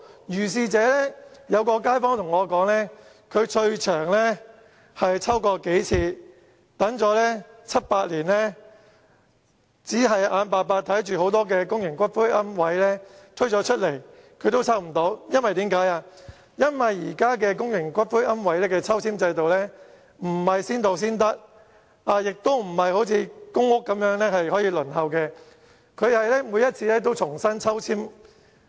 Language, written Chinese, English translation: Cantonese, 有街坊告訴我，他已抽過數次，合共等了七八年，最終也是眼睜睜看着很多新推出的公營龕位被其他人抽了，原因是現時公營龕位的抽籤制度並不是先到先得，也不是像公屋般可以輪候，而是每次都要重新抽籤。, According to a kaifong he has participated in the allocation of niches for several times and has waited for as long as seven to eight years . He felt distressed when seeing new public niches being allocated to other applicants . The point is public niches are not allocated on a first - come - first - served basis nor is there a queuing system similar to that for the allocation of public housing